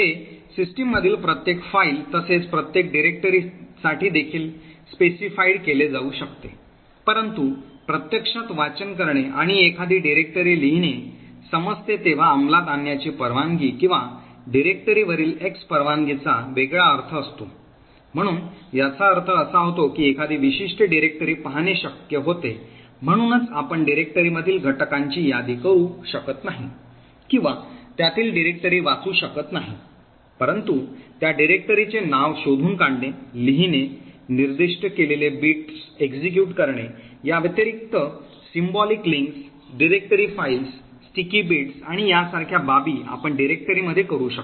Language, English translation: Marathi, So this can be specified for each file in the system as well as each directory as well, while it makes sense to actually have a read and write a directory execute permission or X permission on the directory has a different meaning, so it essentially means that one could lookup a particular directory, so essentially you cannot list the contents of the directory or read the contents of the directory but essentially you could lookup the name of that directory, in addition to these read, write, execute bits what is specified is other aspects such as symbolic links, directory files, sticky bits and so on